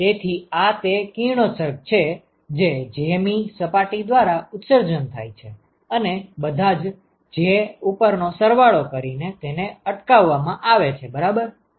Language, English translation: Gujarati, So this is the radiation that is emitted by jth surface and is intercepted by i summed over all j right